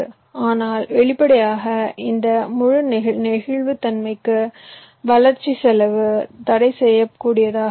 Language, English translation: Tamil, but obviously, for this entire flexibility to happen, the development cost can be prohibitively high